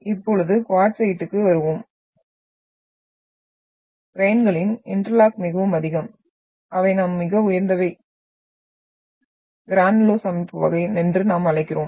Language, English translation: Tamil, Then coming to the quartzite as we are talking about that the interlocking of the grains is very much they are what we call very high and what we call the granulose texture type we will see